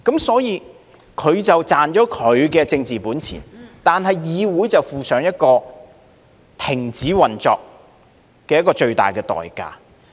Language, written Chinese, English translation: Cantonese, 所以，他便賺了他的政治本錢，但是，議會卻負上停止運作這個最大的代價。, Well they may be able to gain some political capital but the legislature has to pay the greatest price of suspending its operation